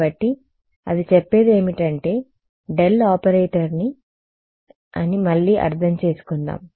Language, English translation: Telugu, So, what it says is let us reinterpret the del operator itself ok